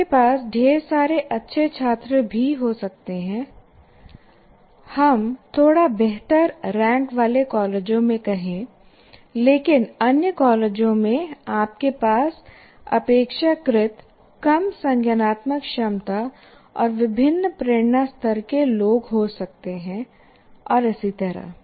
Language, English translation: Hindi, So you may have a very large number of very good students, let us say in slightly better ranked colleges, but in other colleges you may have people with relatively lower cognitive abilities and maybe different motivation levels and so on